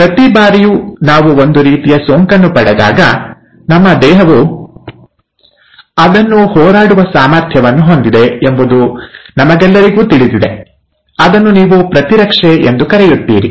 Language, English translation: Kannada, Now we all know, that every time we get some sort of an infection, our body has an ability to fight it out, which is what you call as ‘immunity’